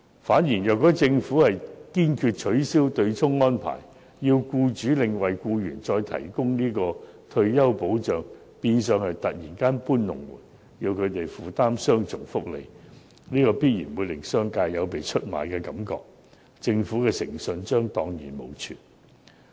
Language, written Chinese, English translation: Cantonese, 反之，如果政府堅決取消對沖安排，要僱主另為僱員再提供退休保障，變相是突然"搬龍門"，要僱主負擔雙重福利，必然會令業界有被出賣的感覺，政府的誠信將蕩然無存。, On the contrary if the Government is bent on abolishing the MPF mechanism and requires employers to provide additional retirement protection for employees the Government has in effect suddenly moved the goalposts . Employers who are required to provide double benefits will only be left with the impression that the trade has been betrayed . The credibility of the Government will be completely lost